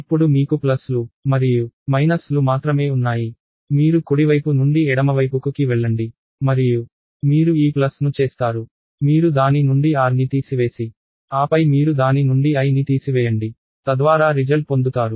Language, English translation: Telugu, So, now you have only pluses and minuses you simply go from the left to right side and you will do this plus that, the result is then, you remove r from it and then you remove i from it